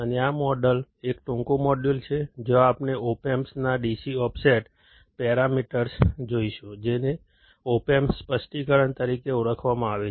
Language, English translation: Gujarati, And this model is a short module, where we will look at the DC offset parameters of opamp; which is also called as the opamp specification